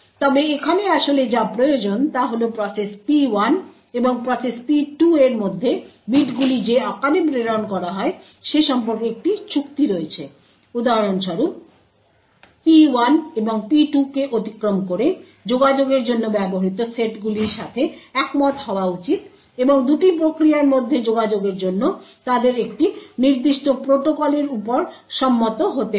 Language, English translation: Bengali, However what is actually required over here is that process P1 and process P2 have an agreement about the format in which the bits are transmitted crosses P1 and P2 for example should agree upon the sets which are used for the communication and also they would have to agree upon a particular protocol for communicating between the two processes